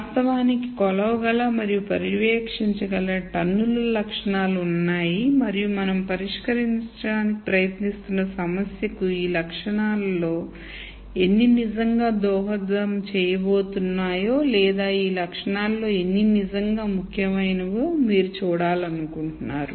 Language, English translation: Telugu, There are tons of attributes that one could actually measure and monitor and you really want to see how many of these attributes are really going to contribute to the problem that we are trying to solve or how many of these attributes are really important